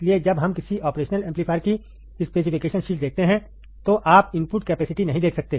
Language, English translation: Hindi, So, when we see a specification sheet of an operational amplifier, you may not be able to see the input capacitance